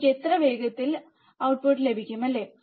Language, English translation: Malayalam, How fast I get the output, right